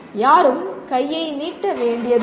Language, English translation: Tamil, Nobody need to hold out hand